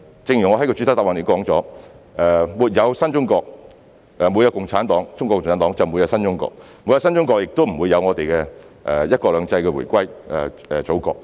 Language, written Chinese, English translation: Cantonese, 正如我在主體答覆中提到，沒有中國共產黨，便沒有新中國；沒有新中國，香港亦不會在"一國兩制"下回歸祖國。, As stated in my main reply without CPC there would be no new China; without the new China there would not have been the return of Hong Kongs sovereignty to the Motherland under one country two systems